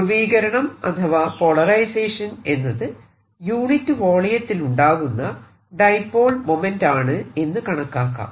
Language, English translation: Malayalam, by polarization we mean dipole moment per unit volume